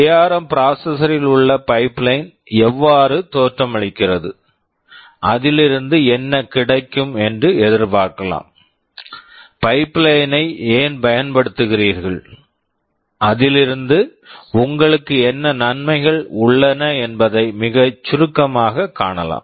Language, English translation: Tamil, Then I shall very briefly tell how the pipeline in the ARM processor looks like, and what is expected to be gained out of it, why do use pipeline, what are the advantages that you have out of it